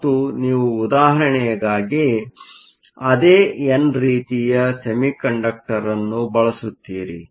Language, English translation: Kannada, And you will use the same n type semiconductor as an example